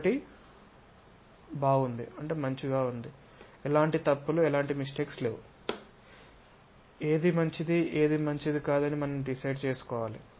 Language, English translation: Telugu, One is good, there is nothing wrong; however, what is good what is not that good we have to decide